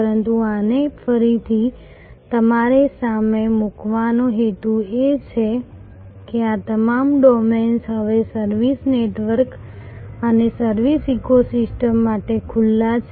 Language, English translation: Gujarati, But, the purpose of putting this again in front of you is to highlight that all these domains are now open to service networks and service ecosystems